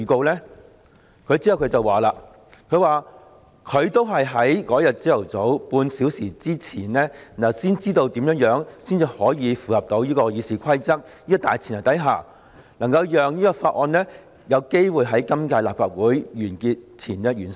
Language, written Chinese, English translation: Cantonese, "然後，他表示自己都是在當日早上比大家早半小時知道如何可以在符合《議事規則》的大前提下，讓《條例草案》有機會在今屆立法會完結前完成。, He then went on to state that he figured out how it might be possible to complete the procedures on the Bill before the end of this Legislative Council under the prerequisite of complying with the Rules of Procedures RoP just half an hour earlier than us that morning